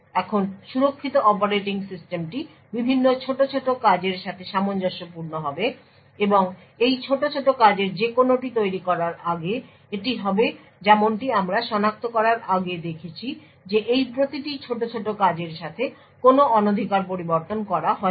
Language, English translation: Bengali, Now the secure operating system would correspond various tasklets and before spawning any of this tasklet is would as we seen before identify that each of this tasklet have not being tampered with